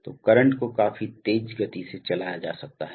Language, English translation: Hindi, So, current can be driven pretty fast